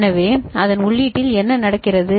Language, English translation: Tamil, So, what is happening at the input of it